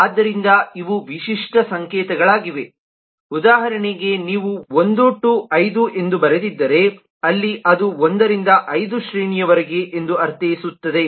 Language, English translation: Kannada, for example, you could have written 1 to 5, something like this, where it will mean that it is 1 to 5 range